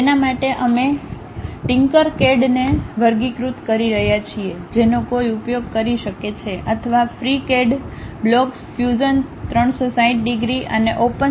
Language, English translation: Gujarati, For that we are categorizing TinkerCAD one can use, or FreeCAD, Blocks, Fusion 360 degrees and OpenSCAD